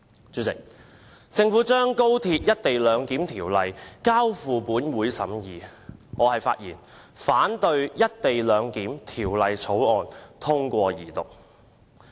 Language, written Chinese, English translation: Cantonese, 主席，政府將《條例草案》交付本會審議，我現在發言反對《條例草案》通過二讀。, President the Government introduced the Bill into the Legislative Council for consideration . I now rise to speak against the Second Reading of the Bill